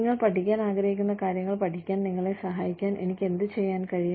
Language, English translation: Malayalam, What can I do, to help you learn what you want to learn